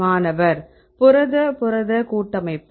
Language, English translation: Tamil, Protein protein complex